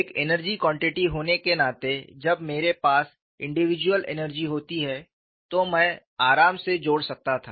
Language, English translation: Hindi, Being an energy quantity, when I have individual energies, I could comfortably add